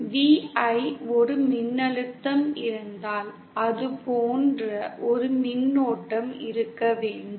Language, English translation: Tamil, V I, if there is a voltage, there should be a current like that